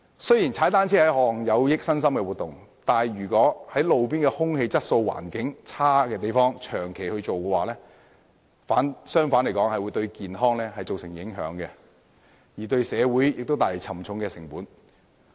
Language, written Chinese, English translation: Cantonese, 雖然踏單車是一項有益身心的活動，但如在路邊空氣質素欠佳的環境下長期進行，反而會對健康造成影響，亦會為社會帶來沉重的成本。, While cycling is an activity beneficial to both body and mind prolonged cycling in an environment with poor roadside air quality will affect our health and incur heavy social costs